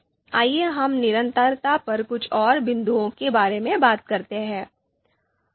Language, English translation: Hindi, Now let us talk about few more points on consistency